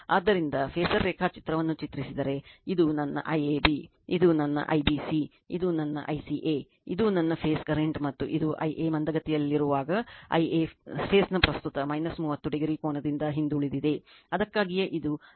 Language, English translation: Kannada, So, if you draw the phasor diagram, this is my I AB, this is my I BC this is my I CA, this is my phase current and this is when I a is lagging I a is lagging from this phase current angle minus 30 degree, that is why this is I a 30 degree then, I b 30 then I c